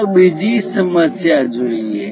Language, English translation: Gujarati, Let us look at the second problem